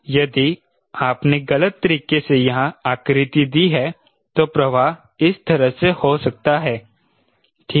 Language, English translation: Hindi, if you have done a contouring here wrongly, the flow may go like this: right